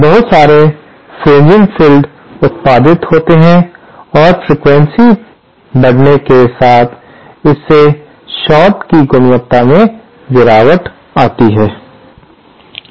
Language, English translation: Hindi, Lot of fringing field will be produced and the quality of the short degrades as frequency increases